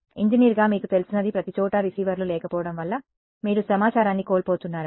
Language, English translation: Telugu, As an engineer of what you know that you are losing information by not having receivers everywhere